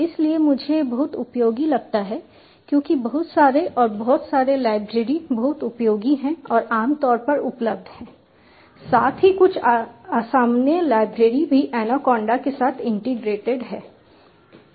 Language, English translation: Hindi, so i find it quite useful since lots and lots of library is very useful and commonly available as well as some uncommon libraries are also integrated with anaconda